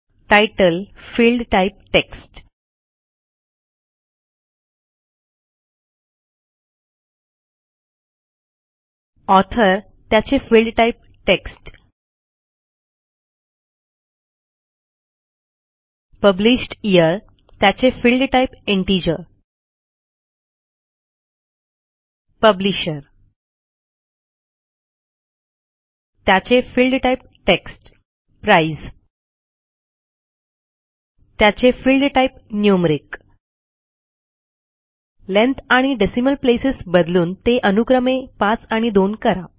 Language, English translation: Marathi, Title, Field type Text, Author Field type Text, Published Year Field type Integer Publisher Field type Text Price Field type Numeric Change the Length to 5 and Decimal places to 2